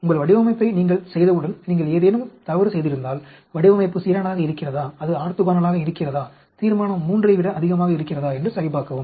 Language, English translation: Tamil, Once you make your design, check cover in case you made any mistake, whether the design is balanced, whether it is orthogonal, whether the resolution is more than 3 and so on